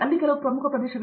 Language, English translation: Kannada, I mean, there are certain core areas